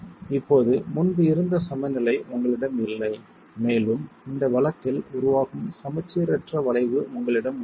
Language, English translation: Tamil, Now you don't have the symmetry that was earlier available and you have an unsymmetric arts that develops in this case